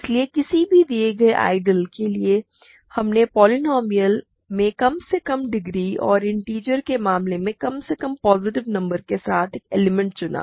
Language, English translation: Hindi, So, given any ideal we picked an element with a least degree in the polynomial ring and least positive number in the case of integers